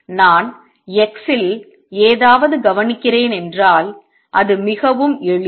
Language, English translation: Tamil, This is very simple this, if I am observing something at x